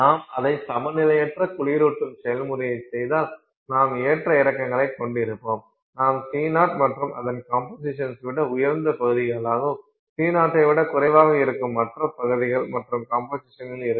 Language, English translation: Tamil, If you do it non equilibrium cooling process you will have fluctuations, you will have regions which are, you know, higher than C zero in composition, other regions which are lower in C zero than C zero in composition